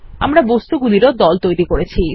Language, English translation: Bengali, We have created groups of objects